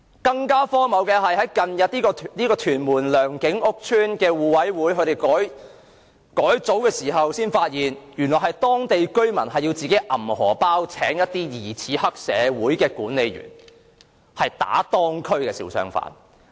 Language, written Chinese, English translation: Cantonese, 更荒謬的是，屯門良景邨互委會在近日改組時發現，原來是當區居民自掏腰包聘請疑似黑社會的管理員來打當區的小商販。, It is even more ridiculous to find that in the recent reorganization of the mutual aid committee of Leung King Estate Tuen Mun the suspected triad estate caretakers who beat the hawkers were employed by local residents